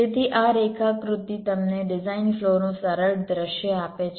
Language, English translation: Gujarati, ok, so this diagram gives you a simplistic view of design flow